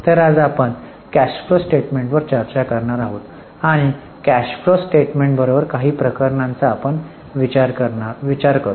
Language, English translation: Marathi, So, today we are going to discuss the cash flow statement and we will also take a look at a few cases involving cash flow statement